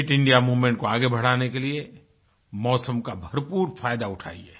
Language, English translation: Hindi, Use the weather to your advantage to take the 'Fit India Movement 'forward